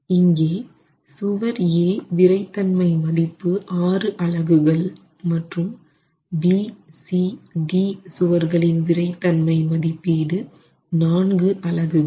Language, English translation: Tamil, Here, wall A has a stiffness of six units whereas wall B, C and D have a stiffness of four units